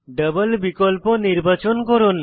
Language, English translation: Bengali, Check against double option